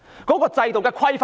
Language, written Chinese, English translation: Cantonese, 現行制度有何規範呢？, Is the existing system subject to any regulation?